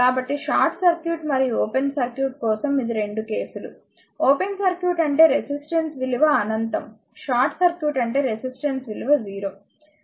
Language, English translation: Telugu, So, this is the this is the your 2 cases for short circuit and a open circuit and short circuit, open circuit means resistance is infinity, short circuit means resistance is 0, right